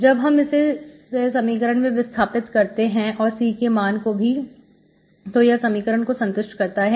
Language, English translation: Hindi, You substitute it into the equation and C, verify it, it satisfies